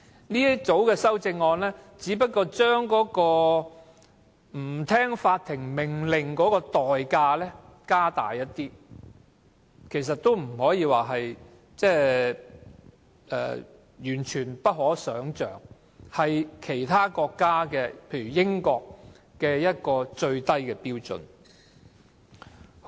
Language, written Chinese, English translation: Cantonese, 這組修正案只不過是將違反法庭命令的代價提高一些，也不可說是完全不可想象，只是相等於某些國家的最低標準。, This group of amendments only increases the price for not complying with the court order which can hardly be considered unimaginable . The amount proposed is the minimum standard in countries like the United Kingdom